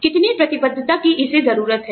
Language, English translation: Hindi, How much commitment, it needs